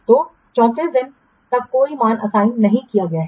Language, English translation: Hindi, So till 34 days, no value is assigned